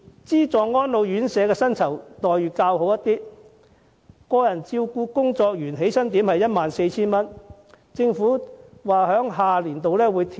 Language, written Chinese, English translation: Cantonese, 資助安老院舍的薪酬待遇較好，個人照顧工作員的起薪點是 14,000 元，政府表示在下年度更會調整。, The remuneration package is better for subsidized homes where the starting point for personal care worker is 14,000 and will be adjusted upward next year as said by the Government